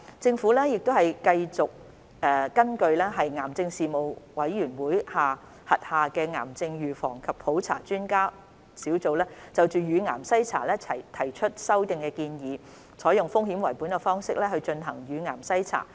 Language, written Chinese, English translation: Cantonese, 政府繼續根據癌症事務統籌委員會轄下的癌症預防及普查專家工作小組就乳癌篩查提出的修訂建議，採用風險為本的方式進行乳癌篩查。, Based on the latest recommendations of the Cancer Expert Working Group on Cancer Prevention and Screening of the Cancer Co - ordinating Committee on breast cancer screening the Government will continue to adopt a risk - based approach for breast cancer screening